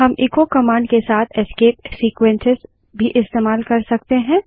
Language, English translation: Hindi, We can also use escape sequences with echo command